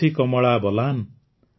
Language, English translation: Odia, Koshi, Kamla Balan,